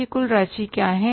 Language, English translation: Hindi, What is this a total amount is